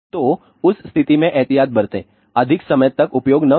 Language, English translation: Hindi, So, in that case take precaution do not use for longer time